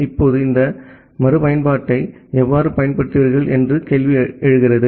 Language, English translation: Tamil, Now, the question comes that how will you apply this reusability